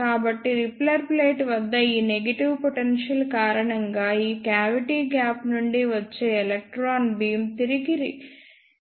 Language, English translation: Telugu, So, because of this negative potential at repeller plate, the electron beam coming from this cavity gap is reflected back to the cavity